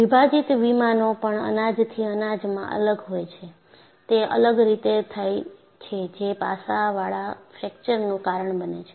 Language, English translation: Gujarati, So, the splitting planes also will differ from grain to grain, and they are differently oriented which causes faceted fracture